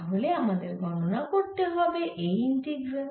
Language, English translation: Bengali, so we have to calculate this integral